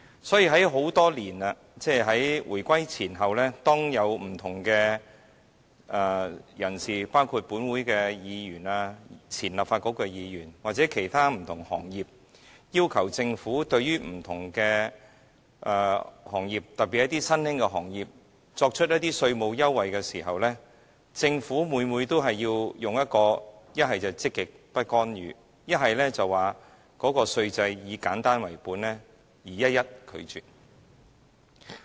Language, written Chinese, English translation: Cantonese, 所以，在很多年來，即在回歸前後，當有不同的人士，包括立法會議員、前立法局的議員或其他不同的行業代表，要求政府對不同的行業，特別是新興的行業作出稅務優惠時，政府每次不是以積極不干預為由，便是表示稅制是以簡單為本，而一一拒絕。, Therefore over the years whenever any people including Members of the pre - unification Legislative Council and those of the post - reunification Legislative Council or representatives of different sectors asked the Government to provide tax concessions to different industries especially emerging industries the Government invariably turned down their requests on the grounds of either positive non - intervention or the need for keeping the tax regime simple